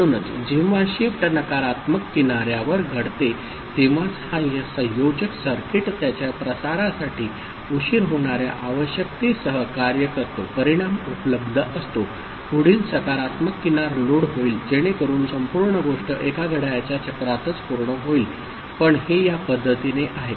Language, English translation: Marathi, So, when shift happens at the negative edge right after that this combinatorial circuit does its operation with whatever propagation delay is required, result is available, next positive edge it gets loaded so that the whole thing gets completed in one clock cycle itself ok, but it is in this manner